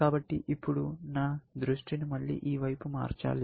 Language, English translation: Telugu, So, I have to now shift my attention to this one, again